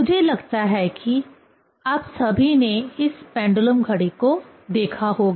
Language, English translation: Hindi, I think all of you have seen this pendulum clock